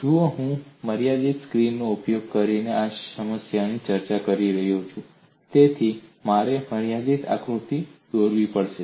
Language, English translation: Gujarati, See, I am discussing this problem using a finite screen, so I have to draw a finite diagram